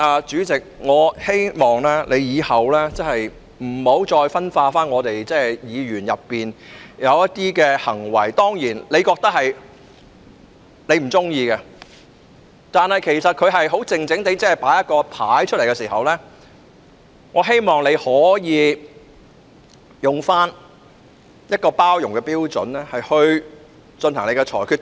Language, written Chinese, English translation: Cantonese, 主席，我亦希望你往後不要再針對我們議員的一些行為——當然，你不喜歡這些行為——但他們只是安靜地展示標語牌時，我希望你可以用包容的態度來處理。, President I also hope that you will not pick on Members for some of their behaviour from now on―of course you do not like such behaviour―but when they were just displaying placards in silence I hope you could deal with it with tolerance